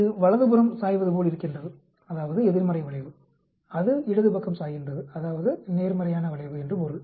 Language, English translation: Tamil, It is sort of leaning towards the right that means the negative skew, it is leaning towards the left that means it is the positive skew